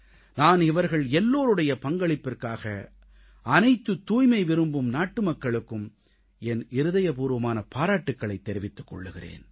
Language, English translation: Tamil, I heartily congratulate all these cleanlinessloving countrymen for their efforts